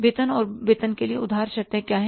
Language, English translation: Hindi, For the salaries and wages, what are the credit terms